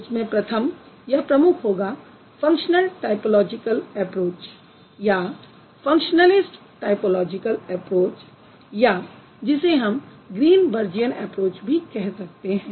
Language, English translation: Hindi, First would be or one of the prominent domains at the functional typological approach or you can say functional list typological approach which is also known as Greenbergian approach